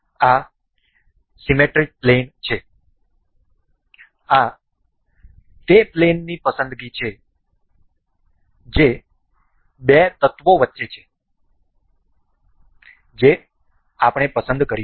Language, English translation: Gujarati, This is symmetry plane; this is the plane preference that is between the two elements that we will be selecting